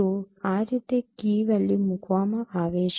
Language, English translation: Gujarati, So that is how a key value is placed